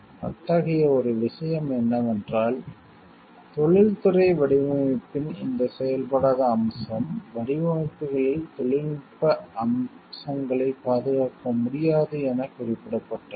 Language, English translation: Tamil, One such thing is this non functional aspect of the industrial design which is mentioned like technical features cannot be protected in the designs